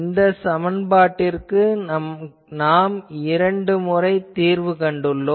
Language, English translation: Tamil, This equation we have solved, twice